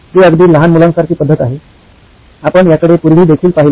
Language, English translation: Marathi, It’s a very kid like method, we looked at it in the past as well